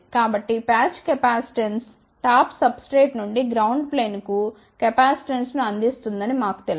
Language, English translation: Telugu, So, we know that patch capacitance provides capacitance from the top substrate to the ground plane